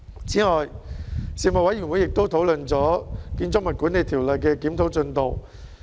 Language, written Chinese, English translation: Cantonese, 此外，事務委員會亦討論了《建築物管理條例》的檢討進度。, Furthermore the Panel also discussed the progress of the review of the Building Management Ordinance